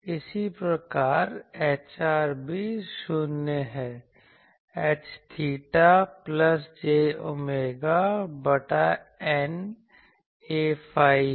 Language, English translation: Hindi, Similarly, H r is also 0; H theta is plus j omega by eta A phi